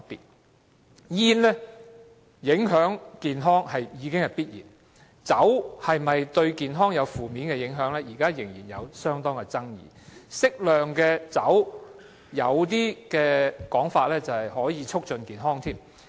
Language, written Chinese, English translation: Cantonese, 吸煙影響健康是必然的，但喝酒會否造成負面健康影響，現時仍有相當大的爭議，更有說法指適量喝酒可以促進健康。, Smoking definitely affects ones health . But at present the question of whether drinking will adversely affect our health remains highly disputable . There is even the assertion that moderate drinking may offer some health benefits